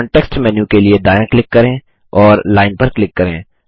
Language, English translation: Hindi, RIght click for the context menu and click Line